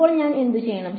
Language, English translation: Malayalam, Now what do I do